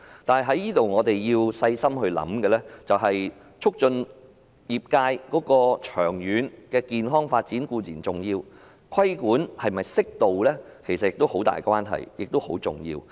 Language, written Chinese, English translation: Cantonese, 但是，我們要細心考慮的是，促進業界健康長遠發展固然重要，但規管是否適度也有很大關係，並且十分重要。, However we have to carefully consider one point while promoting healthy and long - term development of the trade is important the appropriateness of regulation is also of great relevance and importance